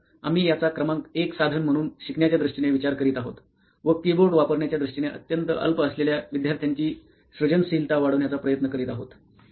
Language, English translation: Marathi, So we are thinking it in terms of learning as the number 1 tool and trying to enhance the creativity of the student which is very meagre in terms of using a keyboard